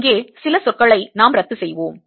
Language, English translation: Tamil, just cancel a few terms here